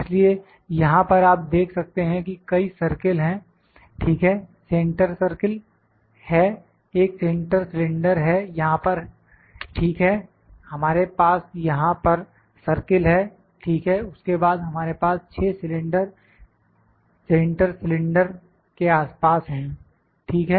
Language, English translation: Hindi, So, you can see there are number of circles here, ok, there are centre circle, a centre cylinder here, ok, we have circles here, ok, then we have 6 cylinders around this centre cylinder, ok